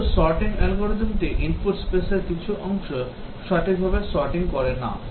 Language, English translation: Bengali, Maybe the sorting algorithm it does not sort properly, some parts of the input space